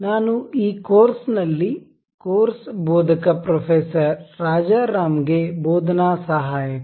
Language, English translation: Kannada, I am the teaching assistant to the course instructor Professor Rajaram in this course